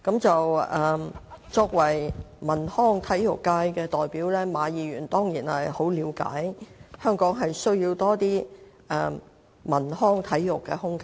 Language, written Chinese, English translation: Cantonese, 作為體育、演藝、文化及出版界的代表，馬議員當然深知香港需要更多文康體育空間。, As the representative of the Sports Performing Arts Culture and Publication Functional Constituency Mr MA certainly knows that Hong Kong needs more development in culture recreation and sports